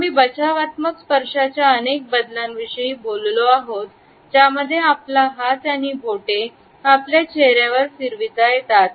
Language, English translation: Marathi, We have talked about several variations of the defensive touches, in which our hand and finger moves across our face